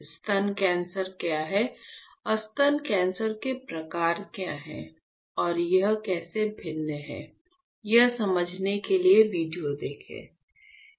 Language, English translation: Hindi, We will use a few; you know videos to explain to you what is breast cancer and what exactly, what are the types of breast cancer, and how it is different